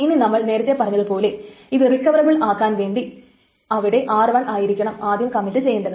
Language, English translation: Malayalam, Now as we said that because to make it recoverable, it should that R1 should first commit then R2 then R3, right